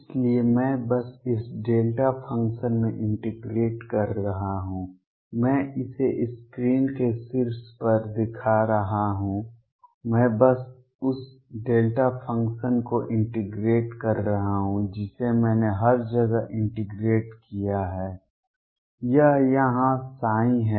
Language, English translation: Hindi, So, I am integrating just across this delta function I am showing it on the top of the screen, I am just integrating across the delta function I integrated everywhere; this is the psi here